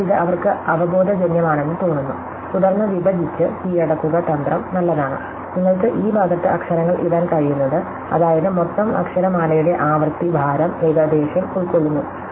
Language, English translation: Malayalam, So, it seem intuitive to them, that divide and conquer strategy is good, what you can put letters on this side, such that the occupied roughly of the frequency weight of the total alphabet